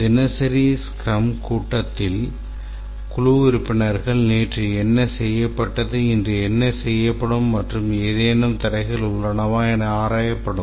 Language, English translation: Tamil, The daily scrum, it's a daily meeting, the team members meet to review what each member did the previous day and what will be achieved today and any obstacles that they are facing